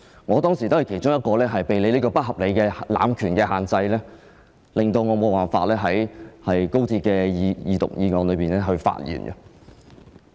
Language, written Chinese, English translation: Cantonese, 我當時也是其中一個被你這個不合理的濫權安排所限制，導致無法在高鐵的二讀辯論中發言的議員。, I was one of the Members restrained by your unreasonable arrangement made by abusing power and I eventually had not spoken during the Second Reading debate on the Guangzhou - Shenzhen - Hong Kong Express Rail Link Co - location Bill